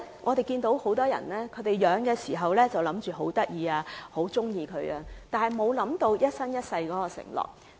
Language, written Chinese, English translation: Cantonese, 我們看到，很多人開始飼養動物的時候覺得牠們很可愛也很喜歡牠們，完全沒有考慮這是一生一世的承諾。, As we have noticed many people found animals very cute and adorable when they started keeping them but they have never considered that this is a lifetime commitment